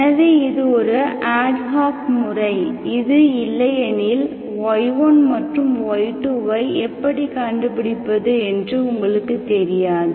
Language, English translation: Tamil, So this is one ad hoc method, now let us see, how, otherwise you do not know how to find y1 and y2